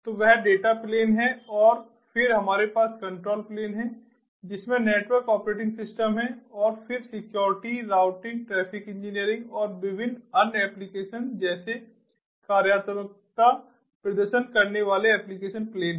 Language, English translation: Hindi, and then we have the control plane which has the network operating system, and then the application plane performing functionalities like security, routing, ah, traffic engineering and different other applications